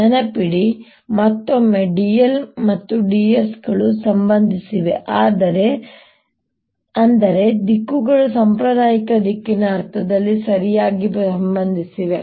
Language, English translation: Kannada, remember again, d l and d s are related, such that the directions are properly related through the conventional l sense of direction